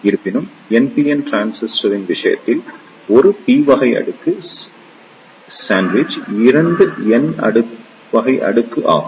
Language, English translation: Tamil, However, in case of NPN transistor, a p type layer is sandwich 2 n type of layer